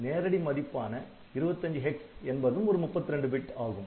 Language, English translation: Tamil, So, they must have a 32 bit value